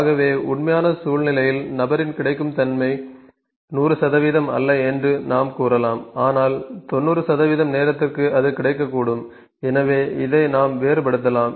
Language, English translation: Tamil, So we can think that then the actual situation the availability of the person is not 100 percent, but for the 90 percent of the time it can be available so we can vary this as well